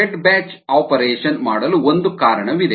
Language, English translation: Kannada, there is a reason for doing the fed batch operation